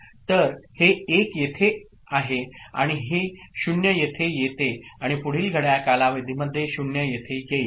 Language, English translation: Marathi, So, this 1 comes here and this 0 comes here and this 0 comes here in the next clock time period